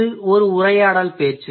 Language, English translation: Tamil, It's a conversational discourse